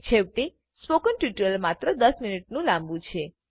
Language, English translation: Gujarati, After all, a spoken tutorial is only ten minutes long